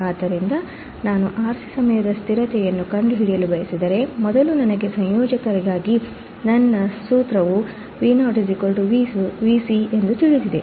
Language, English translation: Kannada, So, if I want to find the R C time constant, first I know that my formula for integrator is Vo equals to V c right here